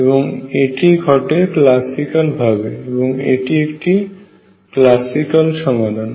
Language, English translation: Bengali, And this happens classical, this is a classical result